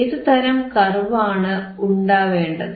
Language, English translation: Malayalam, , wWhat kind of curve you should have